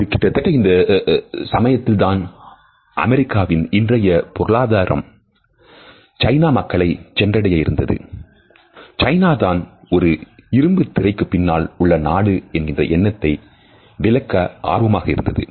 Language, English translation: Tamil, It was perhaps around this time that the US economy was trying to reach the Chinese people and China also was eager to shut this image of being a country behind in iron curtain